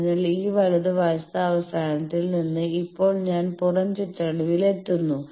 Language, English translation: Malayalam, So, from this right, end I will now in the outer periphery